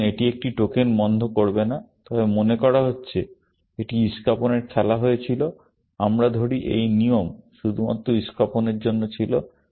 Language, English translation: Bengali, So, it will not stop tokens here, but supposing, this was played spades; let us say this rule was only for spades